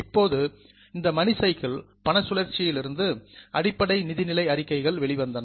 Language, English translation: Tamil, Now, from this money cycle, the basic financial statements emerge